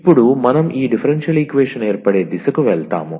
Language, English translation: Telugu, And now we will we are going to the direction of the formation of these differential equation